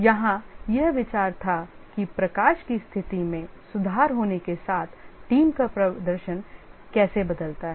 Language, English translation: Hindi, Here the idea was that how does the team performance change as the lighting conditions improve